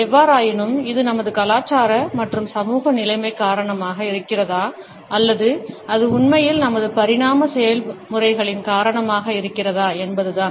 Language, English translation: Tamil, However, whether it is owing to our cultural and social conditioning or it is because of our indeed evolutionary processes